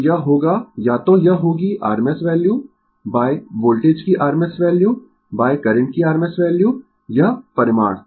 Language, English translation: Hindi, So, it will be either it will be rms value by rms value of voltage by rms value of current this magnitude